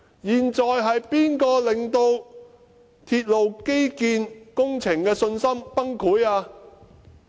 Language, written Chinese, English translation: Cantonese, 現時是誰人令到大眾對鐵路基建工程的信心崩潰？, Who has caused a total lack of confidence in the railway infrastructure project?